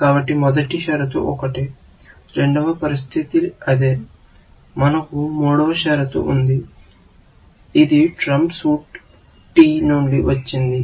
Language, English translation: Telugu, first condition is the same; the second condition is the same; we have a third condition, which is saying that from trump suit t